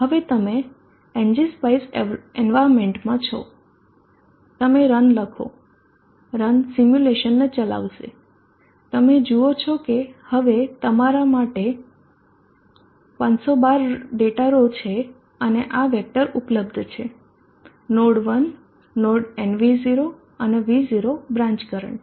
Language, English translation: Gujarati, say R that is it for you are now into the ng spice environment you type a one run will execute the simulation you see that now there are a financial data course and these are the vector available to you node one node nvo and V0 branch current